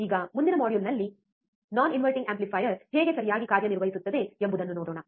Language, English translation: Kannada, Now in the next module, let us see how non inverting amplifier would work alright